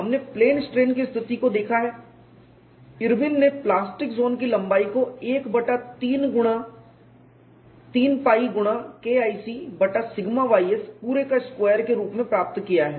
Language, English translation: Hindi, We have looked at in plane strain situation Irwin has obtained the plastic zone length as 1 by 3 pi multiplied by K 1c divided by sigma y s whole square